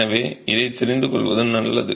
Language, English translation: Tamil, So, this is something that is good to know